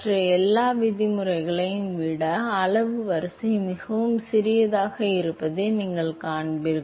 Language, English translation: Tamil, You will see that order of magnitude is much smaller than all the other terms